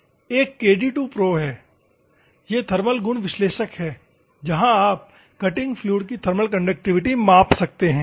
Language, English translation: Hindi, There is a KD2 pro thermal properties analyzer is there where you can find the thermal conductivity of cutting fluid